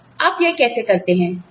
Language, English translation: Hindi, Now, how do you do this